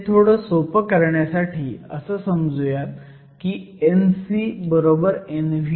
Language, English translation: Marathi, For simplicity, let us just say N c is equal to N v